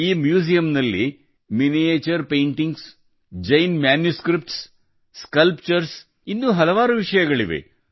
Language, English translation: Kannada, This museum has miniature paintings, Jaina manuscripts, sculptures …many more